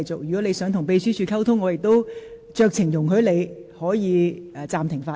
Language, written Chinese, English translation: Cantonese, 如果你想與秘書處人員溝通，我亦會酌情容許你暫停發言。, If you wish to communicate with the Secretariat staff I will exercise my discretion to allow you to suspend your speech